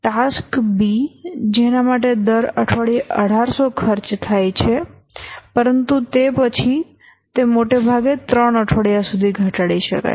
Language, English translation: Gujarati, Task B, 1800 is the cost per week but then it can at most be reduced by three weeks